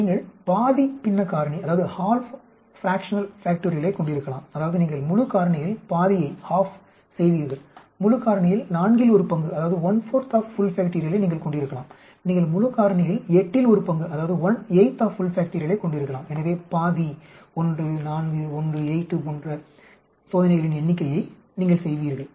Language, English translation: Tamil, You can have half fractional factorial that means you will do half of the full factorial, you can have one fourth of full factorial, you can even have one eighth of full factorial, so you will do much less number of experiments like half 1, 4, 1, 8 but, you lose out on some other parameter we will talk about it later on